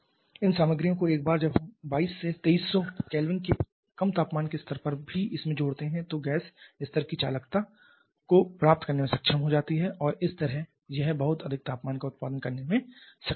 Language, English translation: Hindi, One these materials once we add to this even at low temperature levels of 22 to 2300 Kelvin the gas may be able to achieve this level of conductivity and thereby it is capable of producing very high temperatures